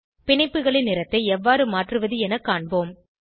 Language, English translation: Tamil, Lets see how to change the color of bonds